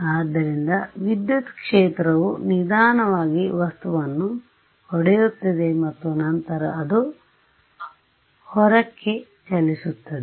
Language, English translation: Kannada, So, the field is slowly hit the object and then its travelling outwards